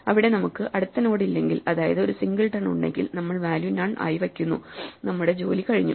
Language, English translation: Malayalam, If there is no next node right, if we have only a singleton then we just set the value to be none and we are done